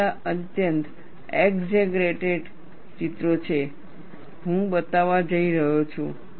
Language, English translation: Gujarati, It is all highly exaggerated pictures, I am going to show